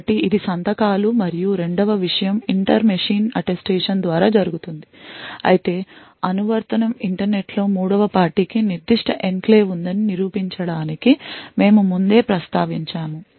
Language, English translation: Telugu, So, this is done by the signatures and the second thing about the inter machine Attestation whereas we mention before the application could actually prove to a third party over the internet that it has a specific enclave